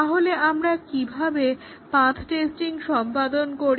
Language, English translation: Bengali, So, how do we do the path testing